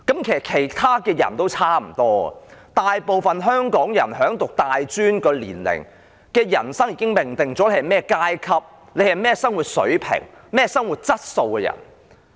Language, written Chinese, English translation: Cantonese, 其他人也差不多，大部分香港人在入讀大專的年齡已經命定了你是甚麼階級、甚麼生活水平、甚麼生活質素的人。, The situation of other people is more or less the same . To most Hongkongers their social class their standard of living or quality of living would have been destined in those years when they go to college